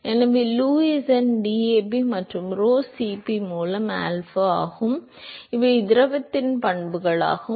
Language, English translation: Tamil, So, Lewis number is alpha by DAB and rho Cp these are the properties of the fluid